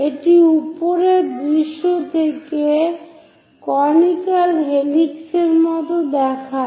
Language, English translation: Bengali, So, this is what we call conical helix